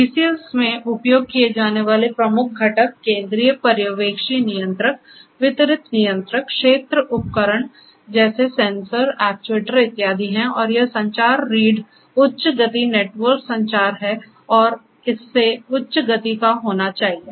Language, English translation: Hindi, The main major components in use in DCS are the central supervisory controller, distributed controller, field devices such as the sensors, actuators and so on and this communication backbone, the high speed network communication network and it it has to be high speed